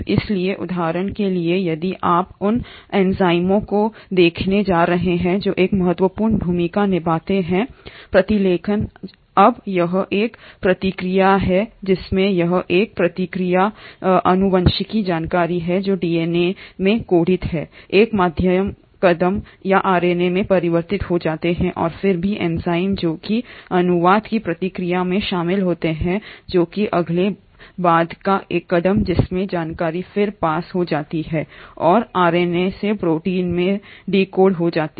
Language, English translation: Hindi, So for example if you are going to look at the enzymes which play an important role in transcription; now this is a process wherein this is a process wherein the genetic information which is coded in DNA gets converted to an intermediary step or RNA and then even the enzymes which are involved in the process of translation which is a next subsequent step wherein information then gets passed on and gets decoded from RNA into protein